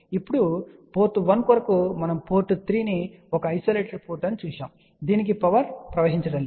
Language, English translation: Telugu, Now for port 1 we had seen port 3 is a isolated port, there is a no power going to this